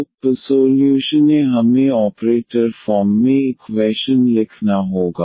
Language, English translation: Hindi, So, first we need to write the equation in the operator form